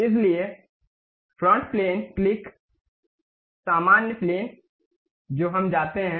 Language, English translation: Hindi, So, front plane click, normal to front plane we go